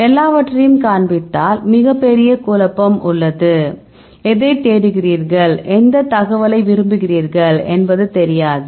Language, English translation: Tamil, Now, if you display everything there is a big mess, we do not know what you are searching for and which information do you want